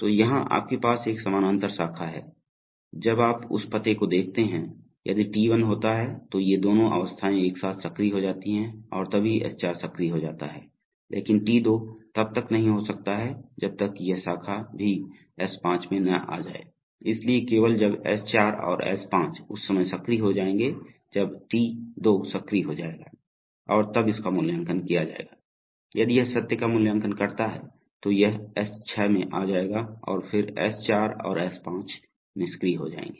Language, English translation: Hindi, So here you have a parallel branch, so when you see that address one if T1 occurs then both these states become active together and then at some point of time S4 becomes active but T2 cannot take place unless this branch also comes to S5, so only when S4 and S5 will become active at that time T2 will become active and it will be evaluated, so if it evaluates to true then it will come to S6 and then S4 and S5 will become inactive